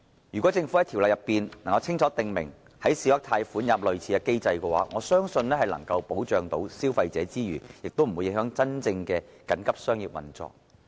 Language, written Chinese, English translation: Cantonese, 如果政府在條例中就小額貸款清楚訂明類似機制，我相信在保障消費者之餘，並不會影響真正的緊急商業運作。, I believe that if the Government explicitly provides for a similar mechanism for small loans in the Ordinance it will offer protection to consumers without affecting genuine emergency business operations